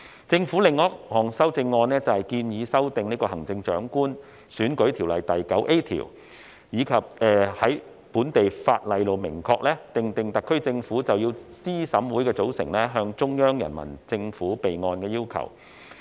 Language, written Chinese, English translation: Cantonese, 政府的另一項修正案，是建議修訂《行政長官選舉條例》第 9A 條，以在本地法例明確訂定特區政府須就資審會的組成向中央人民政府備案的要求。, Another amendment proposed by the Government is to amend section 9A of the Chief Executive Election Ordinance to expressly provide in local legislation the requirement for the SAR Government to report the composition of CERC to the Central Peoples Government for the record